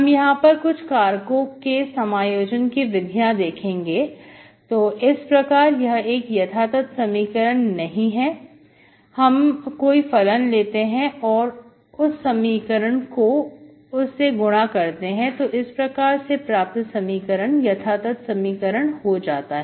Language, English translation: Hindi, So you look for certain integrating factor, so it is non exact equation, you look for some function, you multiply it to the equation, then it becomes an exact